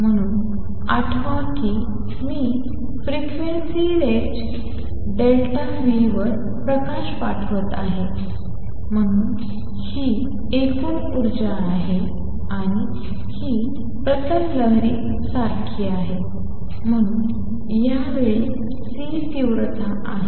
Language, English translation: Marathi, So, recall that I am sending light over a frequency range delta nu, so this is the total energy contained and this is like a plane wave so this time C is intensity